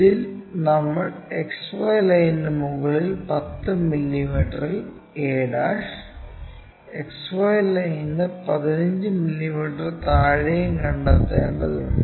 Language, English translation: Malayalam, On this we have to locate 10 mm above XY for a ' and 15 mm below XY line